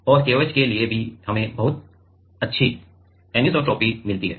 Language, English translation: Hindi, And for KOH also we get very good anisotropy